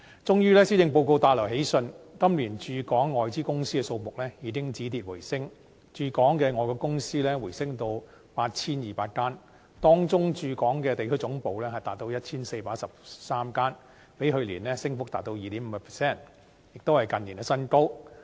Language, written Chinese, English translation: Cantonese, 終於，施政報告帶來喜訊，今年駐港外資公司的數目，已經止跌回升，駐港的外國公司回升到 8,200 間，當中駐港的地區總部達 1,413 間，比去年升幅達 2.5%， 亦都是近年新高。, Finally the Policy Address gives us some good news . This year the decline in the number of foreign companies in Hong Kong has reversed and the number is now increased to 8 200 . Among them 1 413 have their regional headquarters in Hong Kong representing an increase of 2.5 % over last year and a record high in recent years